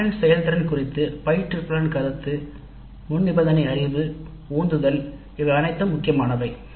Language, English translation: Tamil, So, the instructor's perception of students with regard to their abilities, prerequisite knowledge, motivation, all these things come into the picture